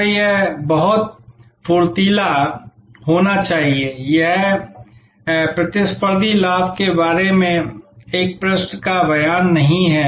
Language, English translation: Hindi, So, it should be very crisp, it is not one page statement about competitive advantage